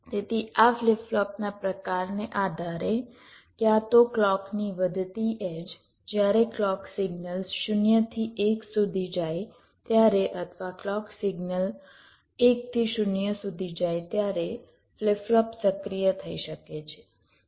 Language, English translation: Gujarati, so depending on the type of flip flop, these ah flip flop can be activated either at the rising edge of the clock, whenever the clock signal goes from zero to one, or whenever the clock signal goes from one to zero